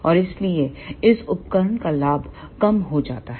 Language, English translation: Hindi, And hence the gain of this ah device decreases